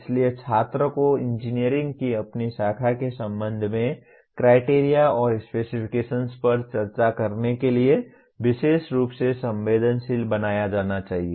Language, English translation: Hindi, So the student should be particularly be made sensitive to discuss the criteria and specifications with regard to his branch of engineering